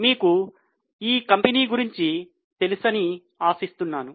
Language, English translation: Telugu, I hope you know about this company